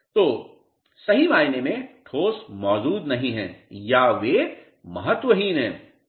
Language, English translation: Hindi, So, truly speaking the solids do not exist or they are insignificant